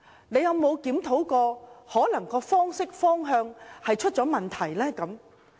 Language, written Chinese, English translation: Cantonese, 他們有否檢討過，是否其行事方式或方向出了問題？, Have they ever reflected on themselves? . Are there problems with their actions or directions?